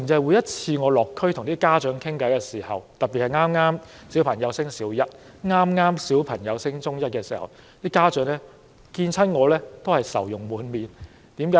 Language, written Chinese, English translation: Cantonese, 我每次落區和家長傾談時，特別是談到孩子剛升讀小一或中一，家長都會愁容滿臉。, In my conversations with parents at each district visit they often look very worried especially when we talk about children who just started their Primary One or Secondary One education